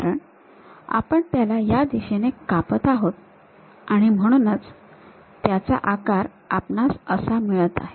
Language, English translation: Marathi, And, because we are taking a slice in that direction, we have that shape